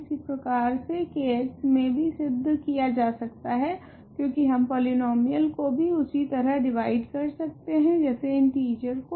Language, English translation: Hindi, The same the same proof works in k x because we can divide polynomials also just like we can divide integers